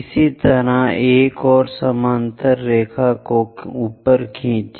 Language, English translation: Hindi, Similarly, draw one more parallel line all the way up